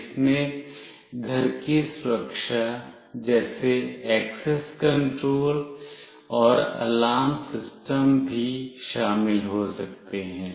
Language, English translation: Hindi, It can also involve home security like access control and alarm system as well